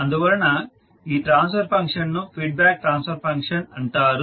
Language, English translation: Telugu, So this particular transfer function is called feedback transfer function